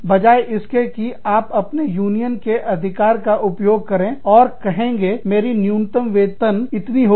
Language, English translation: Hindi, As opposed to, exercising your union power, and saying, no, my minimum wage has to be this much